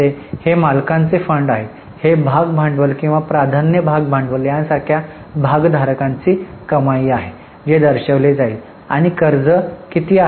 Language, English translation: Marathi, These are the monies of the shareholders like share capital or preference share capital that will be shown and what are the borrowings